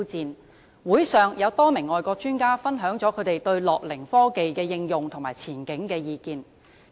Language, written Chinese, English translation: Cantonese, 論壇上，多名外國專家分享了他們對樂齡科技的應用和前景的意見。, At the forum various foreign experts shared their views on the application and prospects of gerontechnology